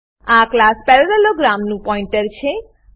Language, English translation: Gujarati, This is the pointer of class parallelogram